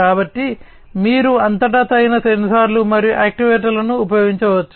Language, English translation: Telugu, So, throughout you can use the suitable sensors and actuators, ok